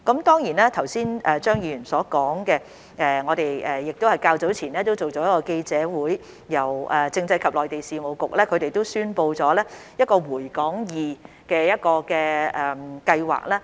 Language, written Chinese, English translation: Cantonese, 關於張議員剛才的建議，我們較早前已舉行記者會，由政制及內地事務局宣布一項回港易計劃。, With regard to Mr CHEUNGs proposal a press conference was held earlier and during which the Constitutional and Mainland Affairs Bureau announced the Return2hk Scheme the Scheme